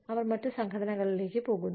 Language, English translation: Malayalam, They go to other organizations